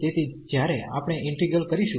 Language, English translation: Gujarati, So, when we integrate this